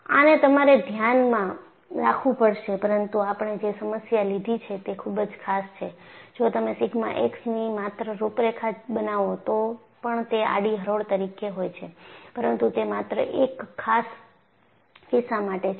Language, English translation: Gujarati, So, this is what you will have to keep in mind, but the problem that we have taken is a very special one; even if you had plotted just contours of sigma x, they would have remained horizontal, but that is only a special case